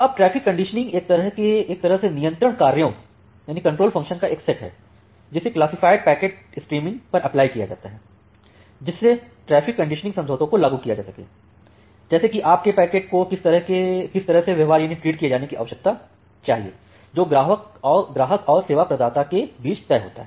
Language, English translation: Hindi, Now, the traffic conditioning it is a set of control functions, that is applied to a classified packets stream in order to enforce traffic conditioning agreements like, how your packet need to be treated which are made between the customers and the service provider